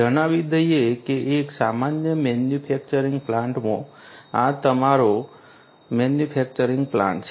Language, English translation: Gujarati, Let us say that in a typical manufacturing plant let us say that this is your manufacturing plant